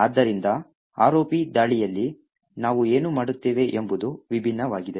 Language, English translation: Kannada, Therefore, what we do in the ROP attack is something different